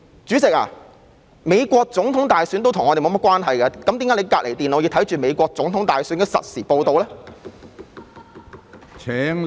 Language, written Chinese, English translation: Cantonese, 主席，美國總統大選跟我們也沒有甚麼關係，為何你在旁邊電腦觀看美國總統大選的實時報道呢？, President the United States presidential election is also not related to us at all . Why do you watch the real - time reports on the US presidential election on the computer beside you?